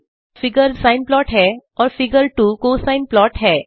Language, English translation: Hindi, In this figure 1 is the sine plot and figure 2 is the cosine plot